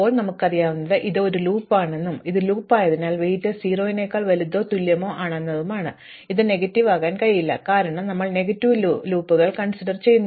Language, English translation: Malayalam, Now, what we know is that this is a loop and since it is a loop, the weight is greater than or equal to 0, it cannot be negative, because we have ruled out negative loops